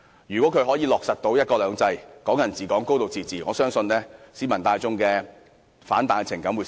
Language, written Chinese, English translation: Cantonese, 如果"一國兩制"、"港人治港"、"高度自治"得以落實，我相信市民大眾的反彈情感將會減少。, If one country two systems Hong Kong people administering Hong Kong and a high degree of autonomy can come to fruition I believe the backlash of public sentiment will be mitigated